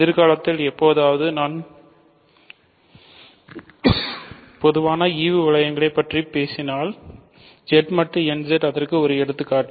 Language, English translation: Tamil, So, in the sometime in the future I am going to talk about quotient rings in more general and Z mod nZ will be an example of that